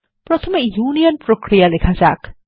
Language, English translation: Bengali, First let us write a union operation